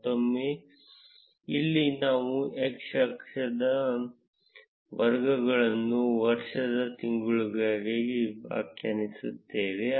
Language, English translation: Kannada, Again, here we would be defining the categories for x axis to be the months of the year